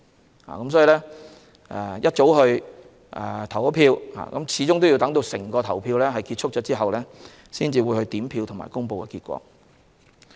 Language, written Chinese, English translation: Cantonese, 因此，即使選民大清早去投票，始終都要等到整個投票程序結束後，才會進行點票和公布結果。, Therefore even if electors vote early in the morning they have to wait for the conclusion of the whole polling process before counting of votes and announcement of result